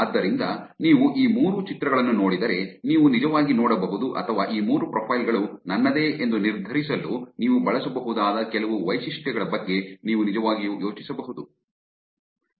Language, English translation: Kannada, So if you look at these three images, you can actually see or you can actually think about some features that you can use for deciding whether these three profiles are mine